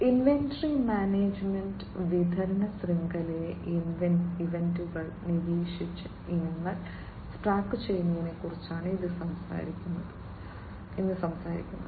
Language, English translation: Malayalam, Inventory management, it talks about tracking of items by monitoring events in the supply chain